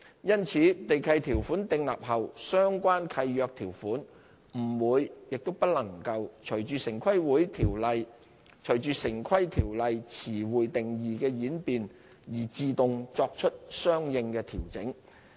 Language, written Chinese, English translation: Cantonese, 因此，地契條款訂立後相關契約條款不會、亦不能隨着城規條例詞彙定義的演變而自動作出相應的調整。, As a result the relevant clauses in the lease will not and cannot automatically change with the amendments to the definition of terms in the Town Planning Ordinance once the lease is executed